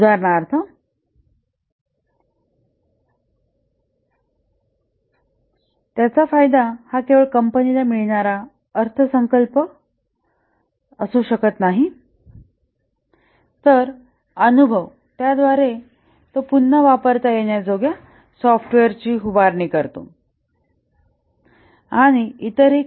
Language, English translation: Marathi, For example, the benefit may not only be the financial budget that it provides the company gets, but also the experience it builds up the reusable software that it makes and so on